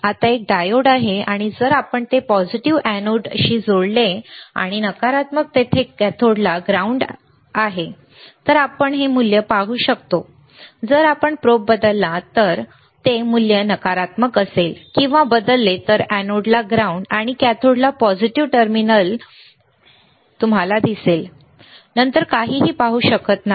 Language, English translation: Marathi, Right now, is a diode, and if we connect it the positive to the anode and negative there is a ground to cathode, then only we will see this value if we change the probe that is, if in change the value that is negative or ground to the anode, and the positive terminal to the cathode then you see, you cannot see anything